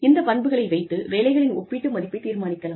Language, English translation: Tamil, So, that the relative worth of the jobs, can be determined